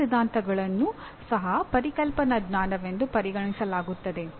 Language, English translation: Kannada, All theories are also considered as conceptual knowledge